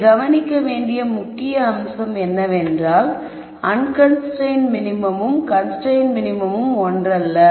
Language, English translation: Tamil, The key point to notice here is that the unconstrained minimum is not the same as the constraint minimum